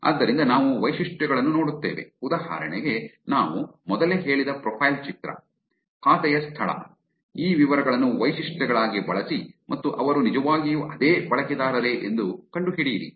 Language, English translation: Kannada, So we look at features, for example that we said earlier, profile picture, location of the account, use these details as the features and find out whether they are actually the same version